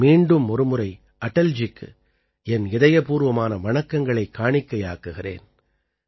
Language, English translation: Tamil, I once again solemnly bow to Atal ji from the core of my heart